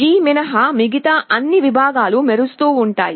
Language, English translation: Telugu, All the segments other than G will be glowing